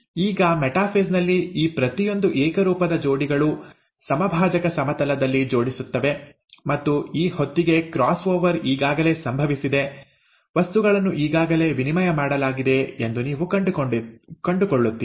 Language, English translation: Kannada, Now in metaphase, that each of these homologous pairs, they arrange at the equatorial plane, and you would find that by this time the cross over has already happened, the material has been already exchanged